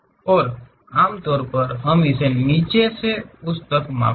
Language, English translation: Hindi, And usually we measure it from bottom all the way to that